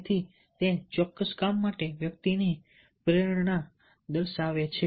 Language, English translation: Gujarati, so it shows the motivation of the individual to do a particular job